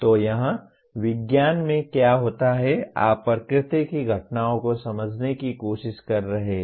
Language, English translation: Hindi, So here what happens in science, you are trying to understand phenomena in the nature